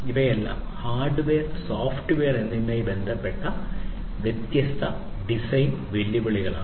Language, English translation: Malayalam, So, all of these are different design challenges with respect to hardware and software